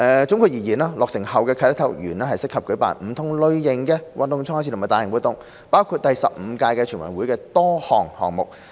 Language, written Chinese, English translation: Cantonese, 總括而言，落成後的啟德體育園適合舉辦不同類型的運動賽事及大型活動，包括第十五屆全運會的多個項目。, In short upon completion the Sports Park can be used for hosting various sports games and major events including the different sports games in the 15th NG